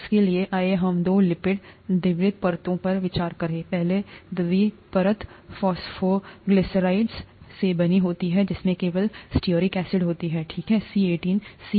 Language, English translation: Hindi, For that, let us consider two lipid bi layers; the first bi layer is made up of phosphoglycerides containing only stearic acid, okay, C18